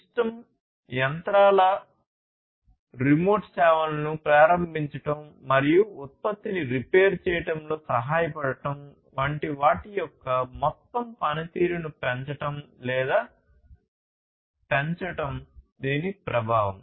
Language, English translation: Telugu, And the effect is to increase or enhance the overall performance of the system, of the machinery, enabling remote services, assisting in repairing the product, and so on